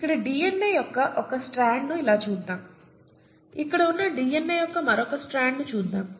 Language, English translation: Telugu, Let us look at one strand of the DNA here like this, let us look at the other strand of DNA here that is like this